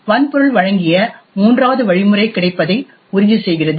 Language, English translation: Tamil, The third mechanism which is provided by the hardware ensures availability